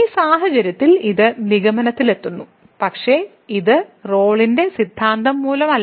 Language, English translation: Malayalam, So, in this case it is reaching the conclusion, but this is not because of the Rolle’s Theorem